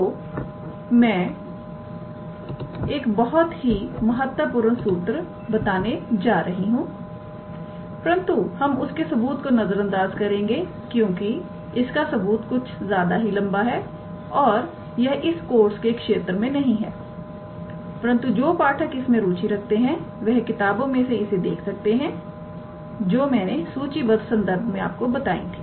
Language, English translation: Hindi, So, I am going to state a very important theorem, but we will avoid the proof because the proof is slightly lengthy and it is out of the scope of this course, but interested readers they can look into the books that have suggested in the references for the proof, alright